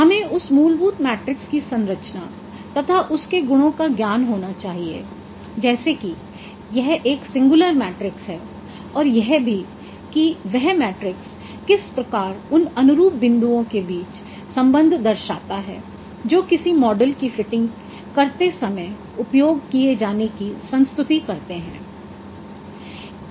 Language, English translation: Hindi, We should have the knowledge of the structure of that fundamental matrix, its properties that it is a singular matrix and also how this matrix relates the corresponding points that requires to be used while fitting a model